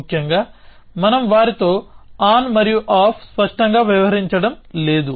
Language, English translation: Telugu, Essentially, we are not deal with them explicitly on and off